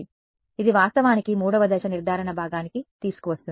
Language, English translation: Telugu, So, that is actually brings us to step 3 the diagnosis part